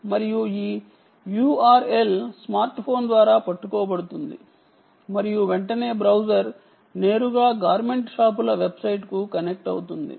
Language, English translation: Telugu, and this u r l is caught by the smart phone and immediately, ah, the browser kicks up and connects directly to the garment shop s website